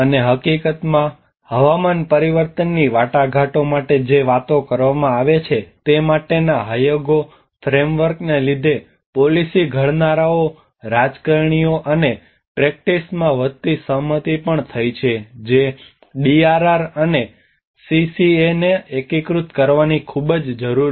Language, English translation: Gujarati, And in fact, the Hyogo framework for action which talks about for the ongoing climate change negotiations have also led to the growing consensus among the policymakers, politicians and practice that there is a great need to integrate DRR and CCA